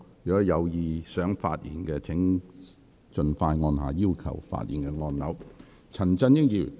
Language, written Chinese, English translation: Cantonese, 有意發言的委員，請盡早按下"要求發言"按鈕。, Members who intend to speak please press the Request to speak button as early as possible